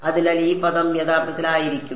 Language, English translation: Malayalam, So, this term is actually going to be